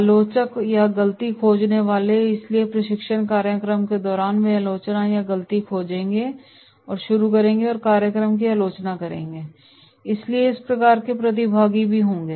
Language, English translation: Hindi, Critics or the fault finders, so during training program itself they will start criticism or the fault finders and criticise the program, so this type of participants will be also there